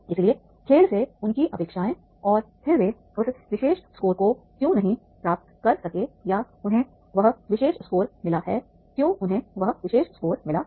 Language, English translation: Hindi, So, their expectations from the game and then they what, you know, why they have could not get that particular score or they have got that particular score, so why they have got that particular score even